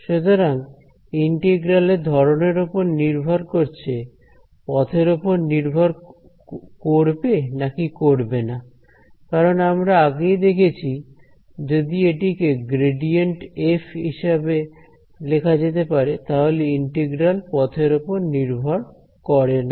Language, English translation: Bengali, So, depending on the nature of a this integral may or may not depend on the path because we have seen that if a can be written as grad f, then this integral does not depend on the path ok